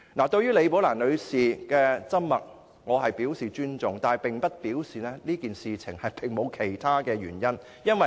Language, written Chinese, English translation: Cantonese, 對於李寶蘭女士的緘默，我表示尊重，但這並不表示此事沒有其他原因。, I respect Ms Rebecca LIs silence . But this does not mean that there are no other reasons to explain this